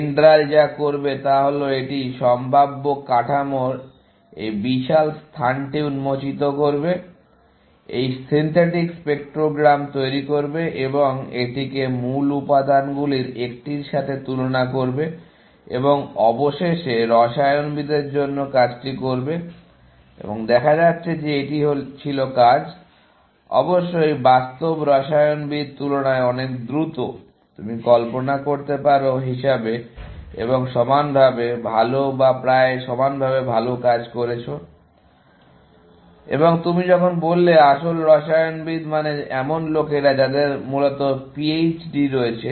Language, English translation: Bengali, What DENDRAL would do is that it would expose this huge space of all possible structures, generates this synthetic spectrograms, and compare it with the one of the original material, and eventually, do the job for the chemist, and it turns out that this was working, of course, much faster than real chemist, as you can imagine; and doing equally, well or almost, equally well and when you say real chemist means people, who have PHDs essentially